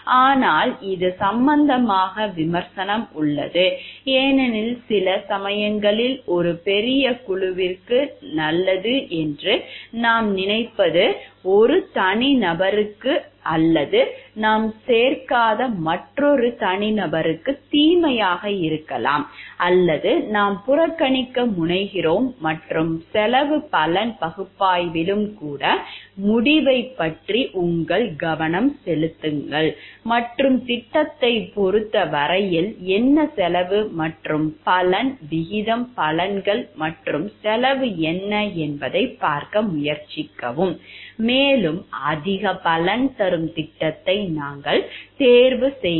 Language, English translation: Tamil, But some it is it has criticism in this regard because sometimes the what we think to be a good for a larger group may be some bad for an individual or a another group of individual whom we don't may include see or we tend to ignore and in cost benefit analysis also your focus with the outcome and try to see what is the cost and benefit ratio benefits and cost with respect to the project and we choose the project which is more benefit